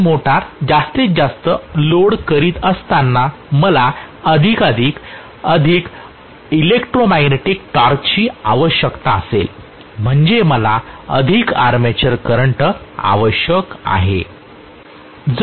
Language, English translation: Marathi, As you load the motor more and more I will require more electromagnetic torque which means I will require more armature current